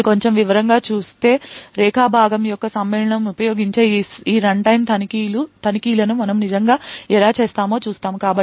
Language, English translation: Telugu, Now going a bit more into detail we would see how we actually do this runtime checks using Segment Matching